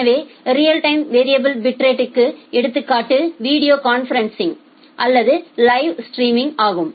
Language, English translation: Tamil, So, the example of real time variable bit rate is the video conferencing or live streaming